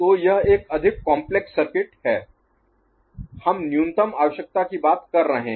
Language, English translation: Hindi, So, that is a more complex circuit we are talking about the minimal requirement